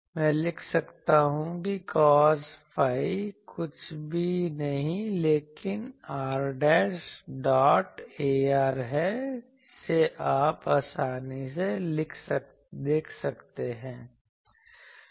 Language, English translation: Hindi, I can write R dashed cos psi is nothing but r dashed dot ar this you can easily see